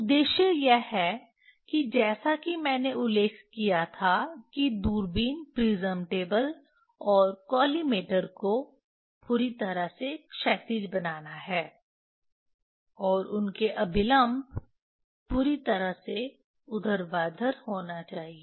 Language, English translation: Hindi, Purpose is to as I mentioned purpose is to make the telescope prism table and collimator perfectly horizontal, and normal to them has to be perfectly vertical